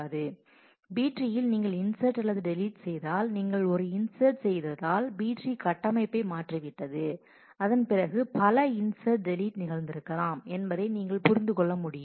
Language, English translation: Tamil, As you can understand that if you make inserts or deletes in the B tree, if you are made an insert then the structure of the B tree itself has changed and after that several other inserts, deletes may have happened